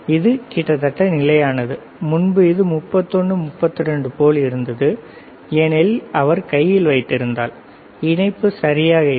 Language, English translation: Tamil, It is almost constant, earlier it was like 31, 32 because it he was holding with hand, the connection was were not proper